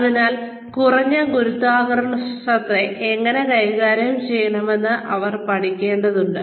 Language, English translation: Malayalam, So they need to learn, how to deal with less gravity